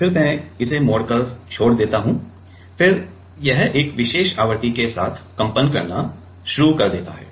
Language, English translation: Hindi, I deflect it and leave it starts to vibrate with a particular frequency that is it is natural frequency